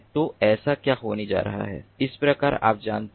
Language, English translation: Hindi, so what is going to happen, like this, you know